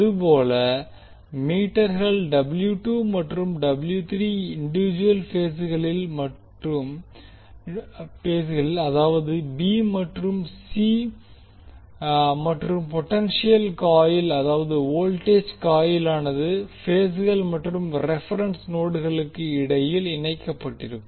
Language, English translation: Tamil, Similarly for W 2 and W 3 meters will connect them to individual phases that is b and c and the potential coil that is voltage coil will be connected between phases and the reference node